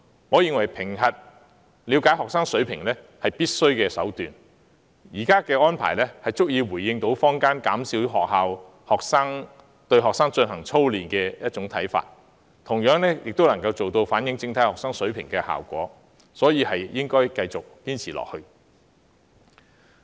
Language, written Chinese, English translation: Cantonese, 我認為以評核來了解學生水平是必須的，現時的安排足以回應坊間減少學校對學生操練的看法，同樣亦能反映整體學生的學習水平，所以應該繼續堅持下去。, I think it is necessary to assess the academic standards of students . The present arrangement not only responses to the publics demand for reducing the drilling of students by schools but also reveals students overall academic standards which I think should continue